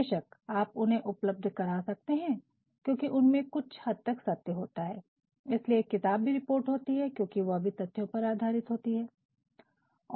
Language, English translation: Hindi, Of course, they can be provided, they have actually some amount of facts involved into it that is why a book also is a report based on facts